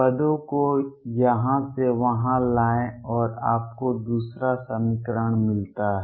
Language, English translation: Hindi, Bring the terms from here to there and you get the second equation